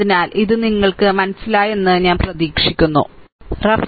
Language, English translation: Malayalam, So, I hope this things is understandable to you, right